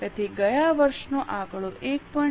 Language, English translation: Gujarati, So, last year's figure into 1